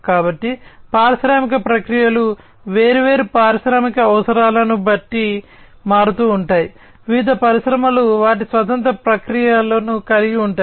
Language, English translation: Telugu, So, industrial processes are varied depending on different industrial requirements, different industries have their own set of processes